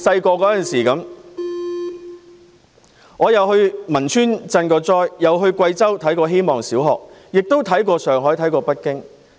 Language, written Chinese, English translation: Cantonese, 我小時候去過汶川賑災，去過貴州希望小學參觀，也去過上海、北京。, When I was a child I went to Wenchuan for disaster relief and visited the Guizhou Hope Primary School; and I also visited Shanghai and Beijing